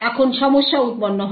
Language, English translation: Bengali, Now the problem arises